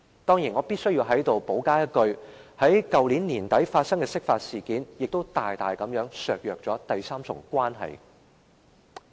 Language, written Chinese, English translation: Cantonese, 當然，我在此必須補充一句，去年年底發生的釋法事件亦大大削弱了第三重關係。, Of course here I must add that the interpretation of the Basic Law which took place at the end of last year has also substantially undermined the third part of the relationship